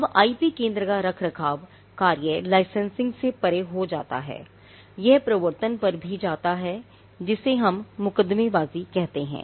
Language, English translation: Hindi, Now, the maintenance function of the IP centre goes beyond licensing; it also goes to enforcement what we call litigation